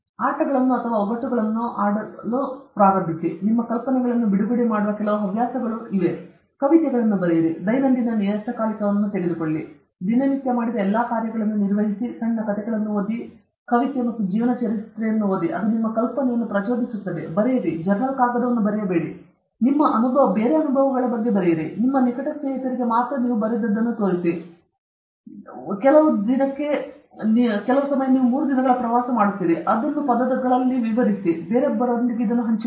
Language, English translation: Kannada, Start playing games or puzzles; have some hobbies which will release your imagination; write some poetry or maintain a daily journal, just maintain what all you have done everyday; read short stories; read poetry and biographies, it provokes your imagination; write, not write not journal paper, write about your experiences or something you dont have to show to others also, show it to only your close friends; you are going on a three day trip to some place, write it down on word and share it with somebody else